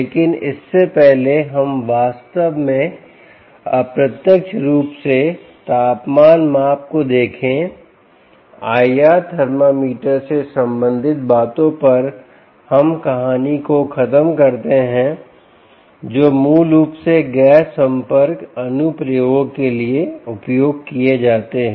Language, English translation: Hindi, we will come to that, but before we actually look at temperature measurement indirectly, let us just finish of the story on, ah, the things related to i r thermometers, which are which are basically used for non contact applications